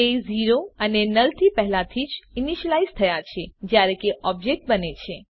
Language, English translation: Gujarati, They have been initialized to 0 and null already once the object is created